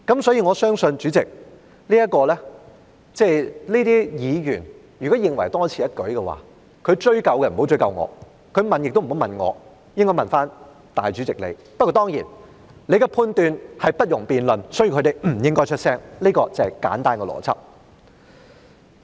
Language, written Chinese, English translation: Cantonese, 所以，主席，認為這項修正案是多此一舉的議員，他不要追究我，也不要問我，他應該問主席你，但當然，你的判斷是不容辯論的，所以他們不應該出聲，這便是簡單的邏輯。, Therefore Chairman the Member who considers this amendment superfluous should not go after me or ask me about it for he should bring it up with you Chairman . But of course your judgment is undebatable and therefore they should not utter a word about it . This logic is simple